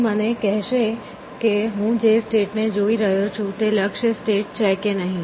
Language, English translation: Gujarati, It will tell me whether the state that I am looking at is a goal state or not a goal state